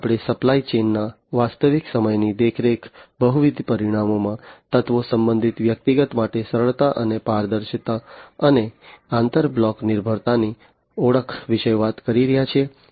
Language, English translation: Gujarati, Here we are talking about real time monitoring of supply chain, elements in multiple dimensions, ease and transparency for related personal, and identification of inter block dependency